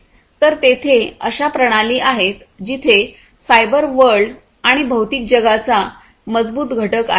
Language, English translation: Marathi, So, these are systems where there is a strong component of the cyber world and the physical world